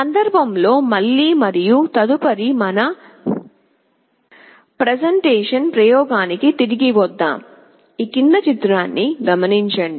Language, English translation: Telugu, Let us again come back to our presentation and the next experiment